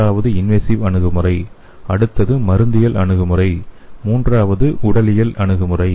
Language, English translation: Tamil, The first one is invasive approach, the next one is pharmacological approach and the third one is physiological approach